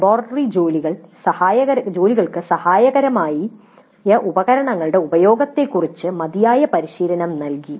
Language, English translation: Malayalam, Adequate training was provided on the use of tools helpful in the laboratory work